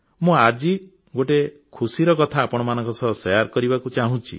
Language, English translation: Odia, I also want to share another bright news with you